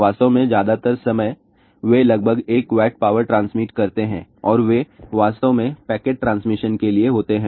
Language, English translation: Hindi, In fact, most of the time , they transmit about 1 Watt of power and they are actually meant for packet transmission